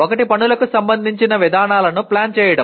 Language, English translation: Telugu, One is planning approaches to tasks